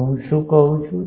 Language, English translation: Gujarati, So, what I am saying